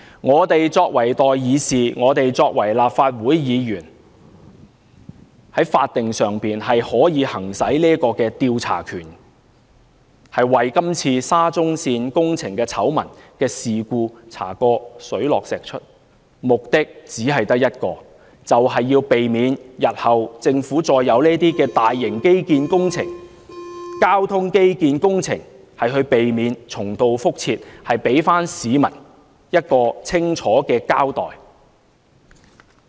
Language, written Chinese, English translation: Cantonese, 我們作為代議士，作為立法會議員，可以行使法定的調查權，把今次沙中線工程的醜聞事故查個水落石出，目的只有一個，就是避免日後政府再有這類大型基建工程、交通基建工程時重蹈覆轍，給市民一個清楚的交代。, Being the peoples representatives we Legislative Council Members can exercise the statutory power to investigate the construction blunders of the SCL Project to uncover the whole truth . By giving the public a clear account the sole purpose is to prevent the Government from committing the same mistakes again when taking forward large - scale infrastructure projects or transport infrastructure projects in future